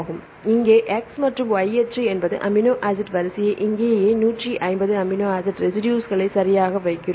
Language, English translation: Tamil, So, here x axis is the amino acid sequence, y axis the amino acid sequence right here we kind of put a 150 amino acid residues right